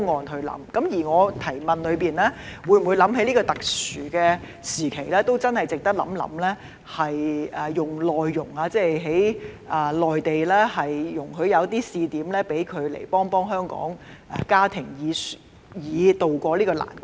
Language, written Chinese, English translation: Cantonese, 正如我在主體質詢中提到，在這特殊時期，政府值得認真考慮輸入內傭，容許在內地設立試點，讓內傭來港幫助香港的家庭，以渡過難關。, As I have mentioned in the main question during this special period it is worthwhile for the Government to seriously consider importing Mainland Domestic Helpers MDHs and allowing pilot points to be set up in the Mainland so that MDHs can come to Hong Kong to help Hong Kong families tide over the difficult period